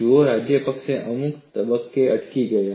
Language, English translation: Gujarati, See, Rajapakse stopped at some stage